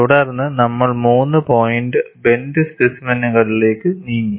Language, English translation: Malayalam, Then we moved on to three point bend specimen